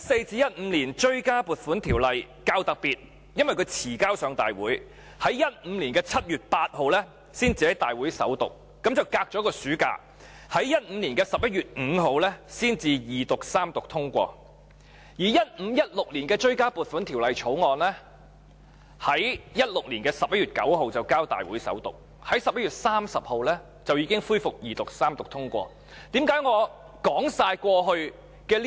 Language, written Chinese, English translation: Cantonese, 《追加撥款條例草案》較特別，因較遲提交大會，故在2015年7月8日才在大會首讀，相隔一個暑假，在2015年11月5日才二讀及三讀通過；而《追加撥款條例草案》在2016年11月9日便交大會首讀，在11月30日已恢復二讀及三讀通過。, The Supplementary Appropriation 2014 - 2015 Bill was rather special as it was introduced into this Council at a later time and so it was read the First time in this Council only on 8 July 2015 and it was only on 5 November 2015 with the passage of a summer recess in the interim that the Bill was passed after being read the Second and Third times . The Supplementary Appropriation 2015 - 2016 Bill was tabled before this Council for First Reading on 9 November 2016 and passed after its Second Reading debate was resumed and Third Reading completed on 30 November